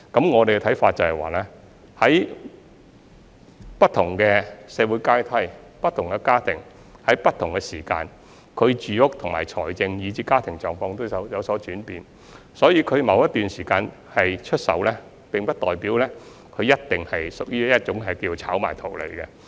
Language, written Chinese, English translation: Cantonese, 我們認為，在不同的社會階梯，不同的家庭在不同時間，他們的住屋、財政，以至家庭狀況都會有所轉變，所以他們在某段時間出售單位，並不代表一定屬於炒賣圖利。, We hold that different families at different social strata will have changing housing needs different financial and family situations at different times . So reselling their flats at a certain time does not necessarily mean that it is an act of property speculation for profit